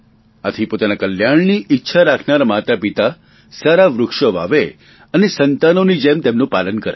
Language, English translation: Gujarati, Therefore it is appropriate that parents desiring their wellbeing should plant tree and rear them like their own children